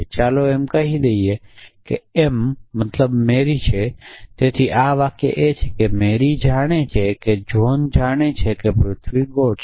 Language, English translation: Gujarati, And let say m stands for marry what this sentence is saying is that Mary knows that John knows that the earth is round